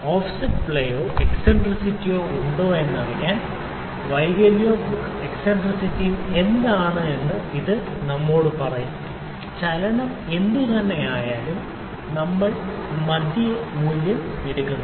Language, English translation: Malayalam, So, as to see whether there is in offset or play or eccentricity this can tell us whether defect to the what the eccentricity is, whatever the movement is we take the mid value